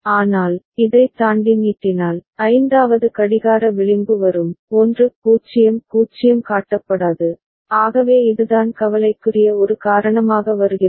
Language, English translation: Tamil, But, if it extends beyond this, so fifth clock edge will come and 1 0 0 is not shown, so that is what is something comes as a cause of concern